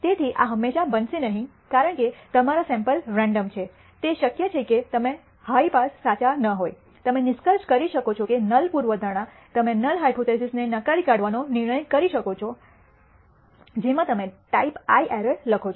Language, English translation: Gujarati, So, this will not happen all the time because your sample is random it is possible that even if you are not high passes is true, you may conclude that the null hypothesis you may decide to reject the null hypothesis in which you commit a type I error what we call a type I error or a false alarm